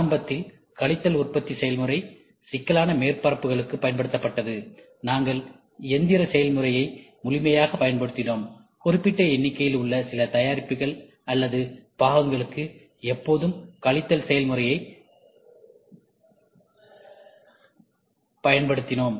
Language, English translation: Tamil, Initially, subtractive manufacturing process was used for one for complex surfaces, we used to exhaustively used machining process, where we need to have a few in number products or parts, we always go for subtractive process